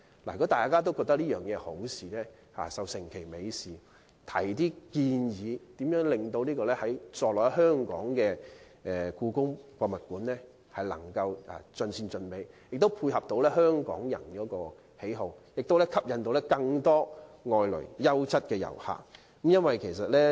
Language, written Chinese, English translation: Cantonese, 如果大家也覺得這是好事，便應該成其美事，並提出建議，令座落在香港的故宮館能夠盡善盡美，配合香港人的喜好，並吸引更多外來的優質遊客。, If Members also agree that the project is desirable they should make it happen and put forward proposals to build the best HKPM in WKCD so that it is not only well liked by Hong Kong people but can also attract more quality inbound tourists